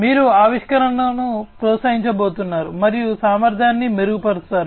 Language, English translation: Telugu, You are going to foster innovation, and improve upon the efficiency